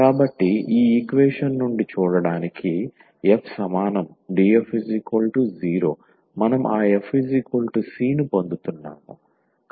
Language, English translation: Telugu, So, f is equal to see from this equation df is equal to 0 we are getting that f is equal to c